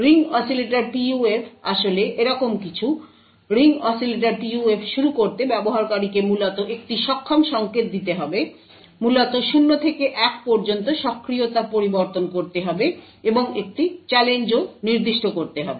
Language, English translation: Bengali, The ring oscillators PUF is something like this, to actually start the Ring Oscillator PUF the user would have to give an enable signal essentially, essentially change the enable from 0 to 1 and also specify a challenge